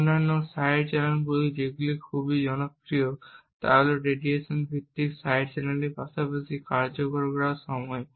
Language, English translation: Bengali, Other side channels which are very popular are radiation based side channels as well as execution time